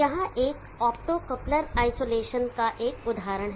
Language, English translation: Hindi, Here is an example of an optocoupler isolation